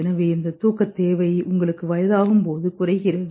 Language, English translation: Tamil, So, and as you grow old, your sleep requirement also decreases